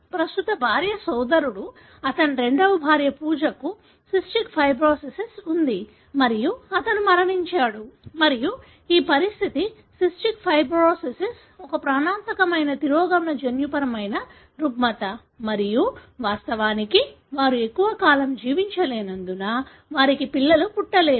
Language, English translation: Telugu, The brother of the current wife, his second wife, Pooja, had cystic fibrosis and he passed away and this condition, cystic fibrosis is a lethal recessive genetic disorder and of course, they can’t have children because they don’t survive that long